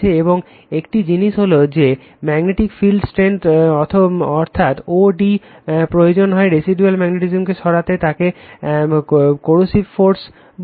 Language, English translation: Bengali, And one thing is there magnetic field strength that is o d required to remove the residual magnetism is called coercive force right